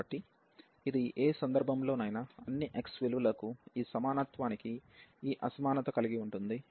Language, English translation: Telugu, So, in any case this for all x this equality this inequality will hold